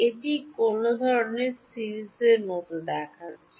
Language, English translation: Bengali, What kind of series does it look like